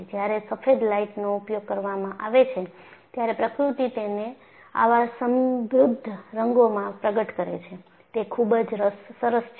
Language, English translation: Gujarati, When a white light is used, the nature reveals it in such rich colors;so nice